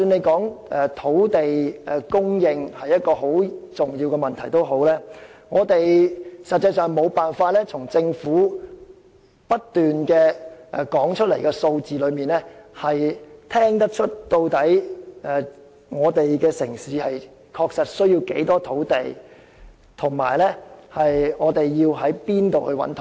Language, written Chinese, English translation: Cantonese, 政府經常說土地供應是十分重要的問題，但我們實際上無法從政府不斷提出的數字之中，得悉這個城市確實需要多少土地，以及從何處可以覓得土地。, The Government often says that land supply is a very important issue but as a matter of fact we can in no way find out from the figures continuously provided by the Government how many hectares of land do we really need in Hong Kong and where can we secure supply of land